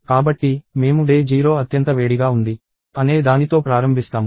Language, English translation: Telugu, So, we start with day 0 being the hottest